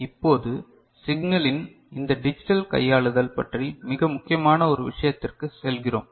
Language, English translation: Tamil, Now, we go to a very important thing about this digital manipulation of signal